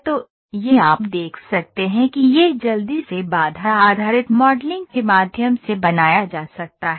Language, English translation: Hindi, So, this you can see it can be quickly made through constraint based modeling